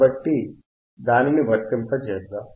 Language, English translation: Telugu, So, let us apply it let us apply it